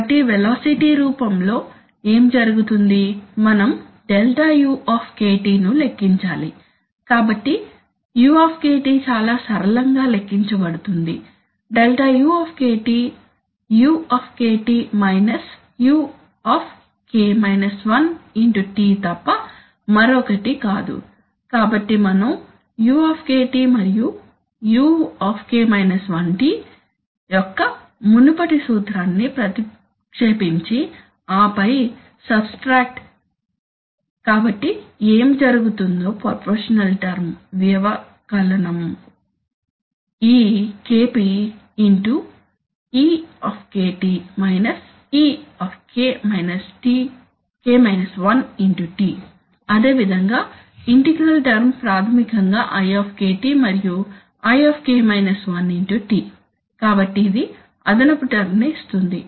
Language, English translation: Telugu, So what happens in the velocity form, we need to compute Δu, so Δu is very simply computed Δu is nothing but u minus u(T), so we substitute the, simply substitute the previous formula of u and u(T) and then subtract, so what will happen is that, see the what happens is the proportional term, subtraction gives this Kp into e minus e(T) similarly the integral term is basically i and i(T), so it will give that additional term which I obtained